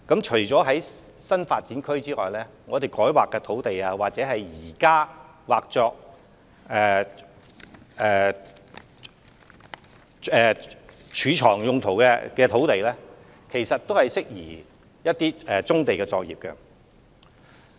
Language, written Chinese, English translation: Cantonese, 除新發展區外，改劃土地或現時劃作貯物用途的土地亦適宜作棕地作業用途。, Apart from NDAs land rezoned or areas zoned Open Storage at present are also suitable for accommodating brownfield operations